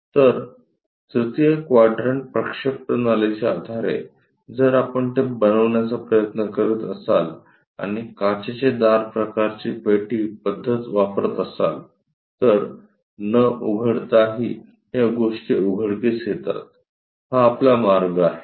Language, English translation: Marathi, So, based on the 3rd quadrant system, if we are trying to make it and using glass door kind of box method, un opening that unfolding these things, this is the way we get